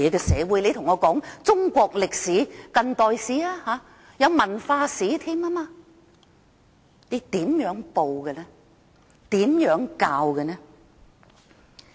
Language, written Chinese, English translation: Cantonese, 說到中國歷史，還有近代史、文化史云云，但中共怎樣報道史實？, Speaking of Chinese history we also have contemporary history and cultural history but how will history be reported or taught by the Communist Party of China?